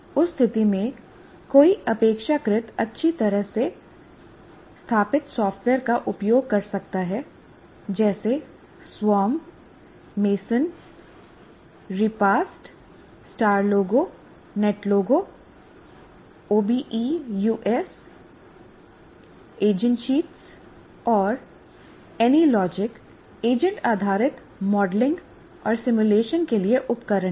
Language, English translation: Hindi, In that case, this is fairly well established software like Swam, Massen, Repa, Star Logo, Net Logo, OBS, agent sheets, and any logic or tools for agent based modeling and simulation